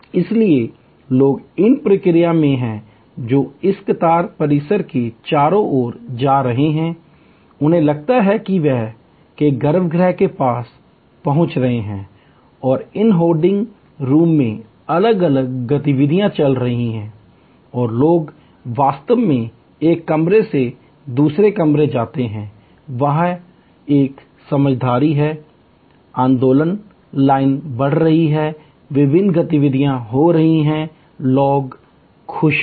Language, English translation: Hindi, So, people are in the process, they are going around this queue complex, they feel there approaching the inner sanctum and different activities are going on in these holding rooms and people actually go from one room to the other room, there is a sense of movement, the line is moving, the different activities are taking place, people are happier